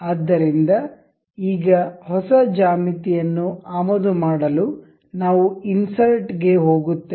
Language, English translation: Kannada, So, now, to import a fresh geometry we will go to insert component